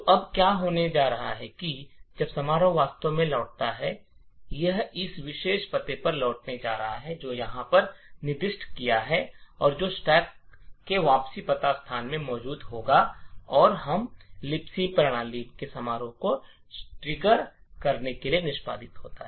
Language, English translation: Hindi, So what is going to happen now is that when the function actually returns is going to return to this particular address which we have specified over here and which would be present in the return address location in the stack and this would trigger the system function in libc to execute